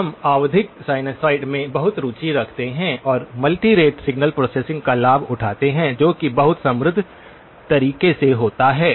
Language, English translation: Hindi, We are very much interested in periodic sinusoids and multi rate signal processing leverages that in a very rich manner okay